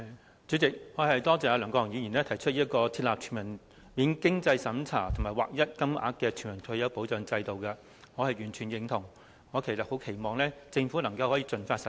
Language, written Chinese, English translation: Cantonese, 代理主席，多謝梁國雄議員提出設立全民免經濟審查及劃一金額的全民退休保障制度，我完全贊同這項建議，我期望政府可以盡快實施。, Deputy President I thank Mr LEUNG Kwok - hung for proposing the establishment of a non - means - tested universal retirement protection system with uniform payment . I fully support this proposal and hope that the Government can implement it as soon as possible